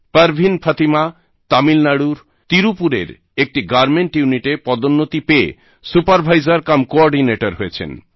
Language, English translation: Bengali, Parveen Fatima has become a SupervisorcumCoordinator following a promotion in a Garment Unit in Tirupur, Tamil Nadu